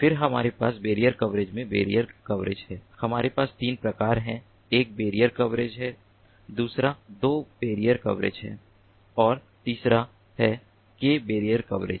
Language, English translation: Hindi, in barrier coverage, we have three variants: one is the one barrier coverage, the second is the two barrier coverage and the third is the k barrier coverage